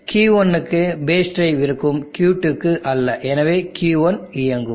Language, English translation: Tamil, There will be base drive for Q1 not for Q2 and therefore, Q1 will be on